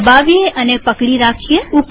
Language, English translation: Gujarati, Let us click and hold